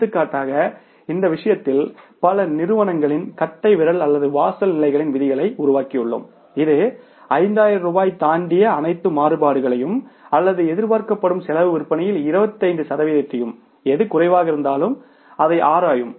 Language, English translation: Tamil, Now, for example in this case we have written many organizations have developed such rules of thumb or the threshold levels as investigate all variances exceeding rupees 5,000 or 25% of the expected cost sales whichever is lower